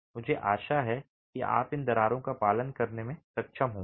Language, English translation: Hindi, I hope you are able to observe these cracks